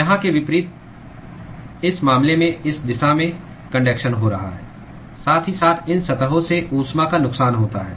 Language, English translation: Hindi, Unlike here, in this case, the conduction is occurring in this direction, while simultaneously there is heat loss from these surface